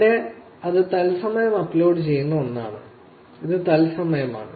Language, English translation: Malayalam, Here it is something that is uploaded in real time; it is live